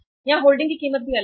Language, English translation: Hindi, Holding cost is also different here